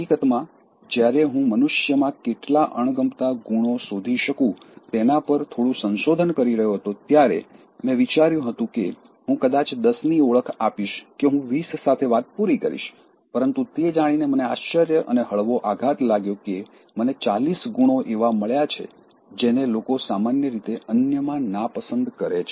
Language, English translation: Gujarati, In fact, when I was making a slight research on how many dislikeable qualities I can find inhuman beings, I thought maybe I will identify 10, I thought I may end up with 20, but I was surprised and mildly shocked to know that up to 40 qualities I found, which people normally dislike in others